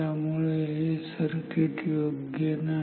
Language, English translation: Marathi, So, this circuit is not good